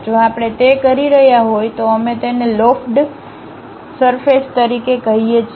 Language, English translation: Gujarati, If we are doing that we call that as lofted surfaces